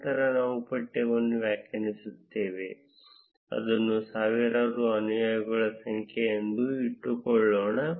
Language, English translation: Kannada, Then we would define the text, let us keep it as the number of followers which are in thousands